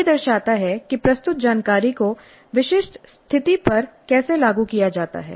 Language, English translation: Hindi, This shows how the presented information is applied to specific situation